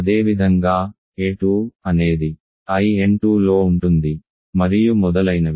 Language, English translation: Telugu, Similarly, a 2 is in I n 2 and so on